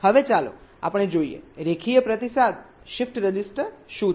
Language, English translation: Gujarati, ok, now let us see what is the linear feedback shift register